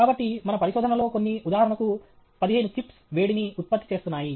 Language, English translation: Telugu, So, some of our research, for example, there are 15 chips which are generating heat